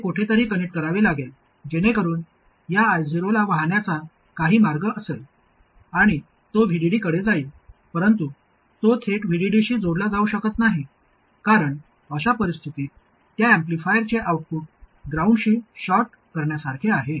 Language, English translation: Marathi, It has to get connected somewhere so that this I 0 has some path to flow and it has to go to VDD where it can't be connected directly to VD because in that case that is like shorting the output of the amplifier to ground